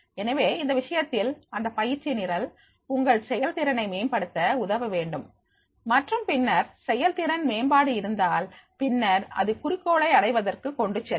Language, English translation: Tamil, So, in that case, this training program should help to improve the performance and then if the performance is improvement is there, then it will be lead to the achievement of the goal